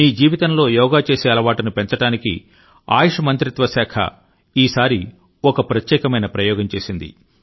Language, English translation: Telugu, By the way, the Ministry of AYUSH has also done a unique experiment this time to increase the practice of yoga in your life